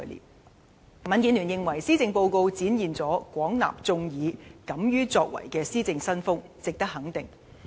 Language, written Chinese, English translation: Cantonese, 民主建港協進聯盟認為，施政報告展現了"廣納眾議，敢於作為"的施政新風，值得肯定。, The Democratic Alliance for the Betterment and Progress of Hong Kong DAB opines that the Policy Address demonstrates a new style of governance of accepting public opinions and daring to accomplish which is commendable